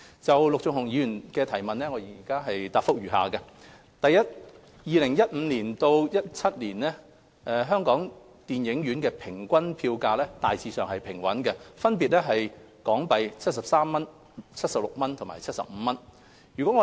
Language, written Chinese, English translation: Cantonese, 就陸頌雄議員的質詢，我現答覆如下：一2015年至2017年本港電影院的平均票價大致平穩，分別為港幣73元、76元及75元。, My reply to Mr LUK Chung - hungs question is as follows 1 From 2015 to 2017 the average price of a movie ticket in Hong Kong had remained stable at HK73 HK76 and HK75 respectively